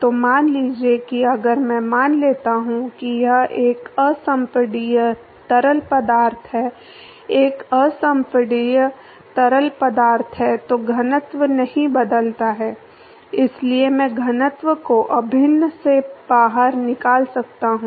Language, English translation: Hindi, So, suppose if I assume that it is an incompressible fluid, an incompressible fluid, then the density does not change, so I can pull the density out of the integral